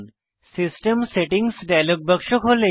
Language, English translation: Bengali, The System Settings dialog box opens up